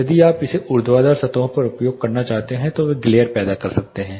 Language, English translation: Hindi, If you are wanting to use it on vertical surfaces they may cause glare